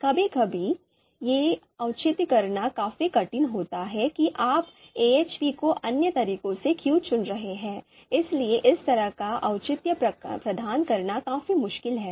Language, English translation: Hindi, Sometimes it is quite difficult to justify that why you are picking AHP over other methods, so that kind of justification is sometimes quite difficult to provide